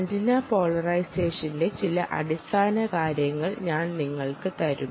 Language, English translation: Malayalam, i will give you some basics: antenna, antenna, polarization